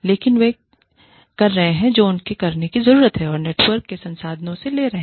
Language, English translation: Hindi, But, they are doing, what they need to do, and they are drawing from the pool of resources, of the network